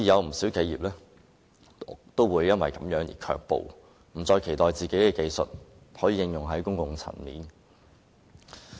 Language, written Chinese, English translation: Cantonese, 不少企業因而卻步，不再期待自己的技術可應用於公共層面。, As a result quite a number of enterprises must think twice rather than expecting the application of their technology in the public domain